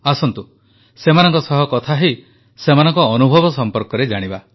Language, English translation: Odia, Come, let's talk to them and learn about their experience